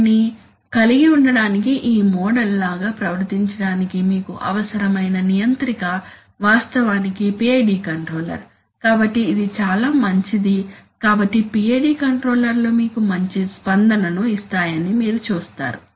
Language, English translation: Telugu, To behave like this model that turns out that, for having that, the controller that you need is actually a PID controller, so it is very good so you see PID controllers can give you good response